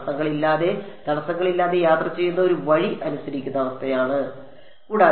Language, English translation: Malayalam, This is the condition that is obeyed by a way of travelling unhindered unobstructed